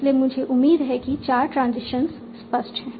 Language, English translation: Hindi, So I hope the four transitions are clear